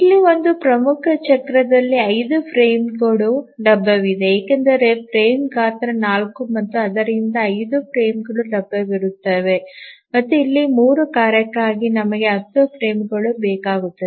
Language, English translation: Kannada, And also if we think how many frames will be available in one major cycle we see that there are 5 frames because frame size is 4 and therefore there will be 5 frames that will be available and here for the 3 tasks we need 10 frames